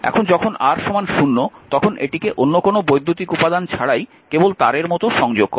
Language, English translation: Bengali, And when R is equal to 0 just connect it like this without no other electric elements simply wire